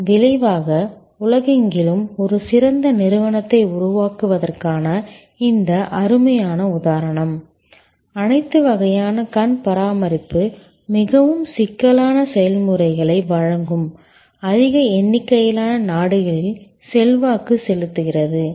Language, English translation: Tamil, And the result is this fantastic example of creation of a great enterprise across the world influencing large number of countries providing all kinds of eye care very intricate processes